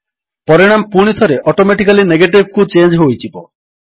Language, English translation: Odia, The result again automatically changes to Negative